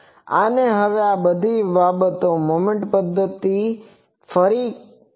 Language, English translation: Gujarati, And now these things all the things were revisited with this moment method thing